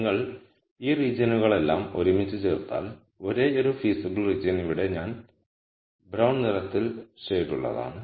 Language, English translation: Malayalam, So, if you put all of these regions together the only region which is feasible is shaded in brown colour here